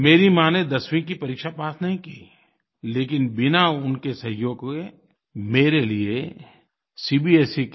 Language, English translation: Hindi, My mother did not clear the Class 10 exam, yet without her aid, it would have been impossible for me to pass the CBSE exam